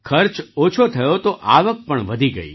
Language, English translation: Gujarati, Since the expense has come down, the income also has increased